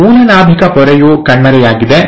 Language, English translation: Kannada, The parent nuclear membrane has disappeared